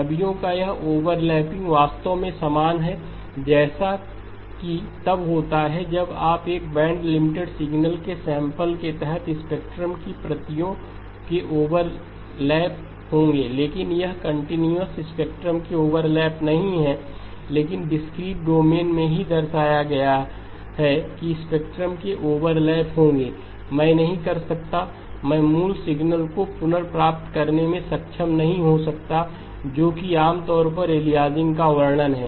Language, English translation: Hindi, This overlapping of images is very similar in fact is exactly the same as what happens when you under sample a band limited signal there will be overlap of the copies of the spectrum but this is not overlap of the continuous spectrum but in the discrete domain itself we have shown that there will be overlap of spectrum, I cannot I may not be able to recover the original signal which is what is typically the description of aliasing